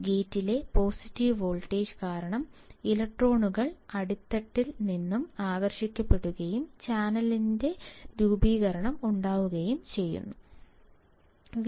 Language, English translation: Malayalam, And then because of the positive voltage at the gate, the electrons will get attracted from the base and there will be formation of channel